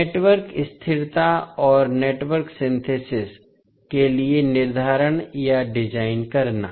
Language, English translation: Hindi, Determining or designing for the network stability and network synthesis